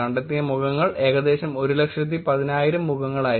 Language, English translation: Malayalam, The faces that are detected were about 110,000 faces